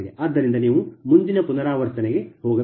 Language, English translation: Kannada, so you have to go for the next iteration